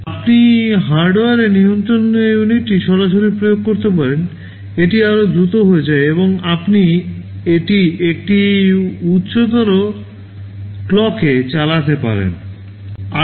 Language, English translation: Bengali, You can directly implement the control unit in hardware, if you do it in hardware itthis also becomes much faster and you can run it at a higher clock